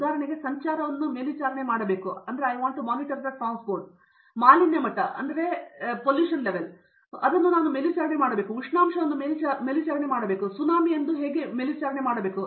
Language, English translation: Kannada, For example, I need to monitor traffic, I need to monitor pollution level, I need to monitor temperature, I need to monitor say tsunami today